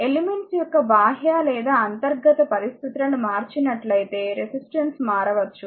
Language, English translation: Telugu, The resistance can change if the external or internal conditions of the elements are your altered